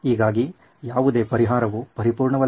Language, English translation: Kannada, So no solution is perfect